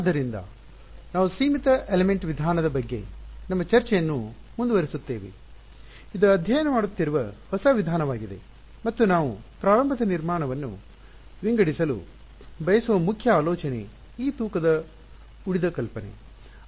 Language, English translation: Kannada, \ So, we will continue our discussion of the Finite Element Method which is the new method which have been studying and the main idea that we want to sort of start building on is this weighted residual idea right